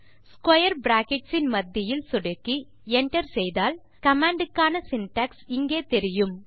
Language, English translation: Tamil, If I click in the middle of the square brackets and hit enter, the syntax for this command will appear here